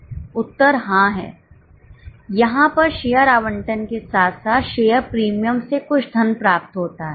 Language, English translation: Hindi, Answer is yes, there is some money received from share allotment along with the share premium thereon